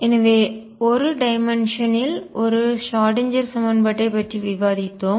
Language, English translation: Tamil, So, we have discussed one Schrödinger equation in 1D